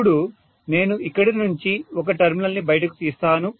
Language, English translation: Telugu, Now I am going to take out one terminal from here